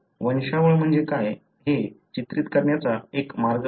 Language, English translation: Marathi, So, this is one way of depicting what is called as a pedigree